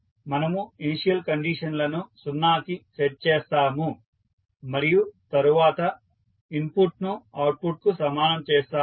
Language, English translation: Telugu, We will set the initial states to 0 and then we will equate input to output